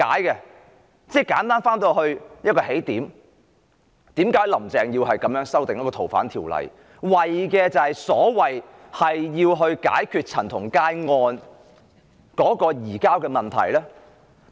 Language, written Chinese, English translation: Cantonese, 簡單來說，現在又回到起點，為甚麼"林鄭"要修訂《逃犯條例》，為的是要解決陳同佳案的移交問題呢？, Simply put we are now back to square one . So why did Carrie LAM push for the FOO amendment? . For the sake of resolving the surrender issue arising from the CHAN Tong - kai case?